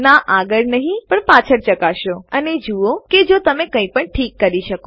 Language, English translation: Gujarati, No, not after but check before and see if you can fix anything